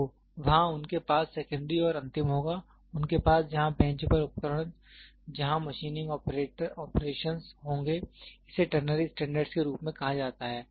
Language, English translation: Hindi, So, there they will have secondary and last, they will have at the bench where the instruments where the machining operations, it is called as ternary standards